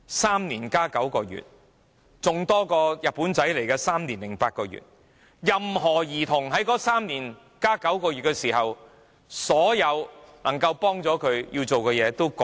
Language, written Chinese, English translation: Cantonese, 3年加9個月，比日本侵華的3年零8個月還要長，任何兒童在那3年加9個月期間，所有能夠幫助他們要做的事情都已過時。, The period of three years and nine months is even longer than the three years and eight months of Japanese occupation of Hong Kong . After these three years and nine months are gone anything that can be done to help these children will become obsolete